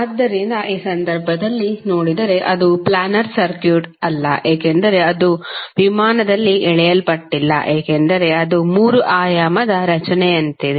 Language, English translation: Kannada, So, like in this case if you see it is not a planar circuit because it is not drawn on a plane it is something like three dimensional structure